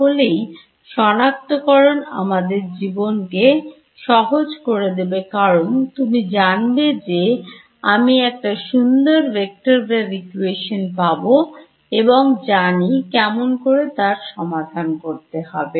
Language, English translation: Bengali, So, here making this choice makes life easy because you know I get this nice vector wave equation and do we know how to solve this